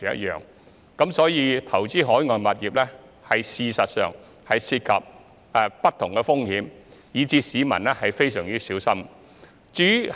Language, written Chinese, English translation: Cantonese, 因此，投資海外物業事實上涉及不同的風險，市民要非常小心。, Therefore different risks are actually involved in making investment on overseas properties . Members of the public should be very careful about it